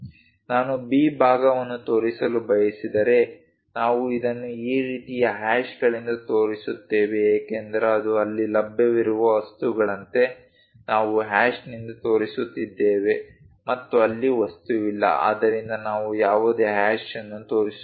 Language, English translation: Kannada, If I want to show B part, we show it by this kind of hashes because it is something like material is available there, we are showing by hash and material is not there so, we are not showing any hash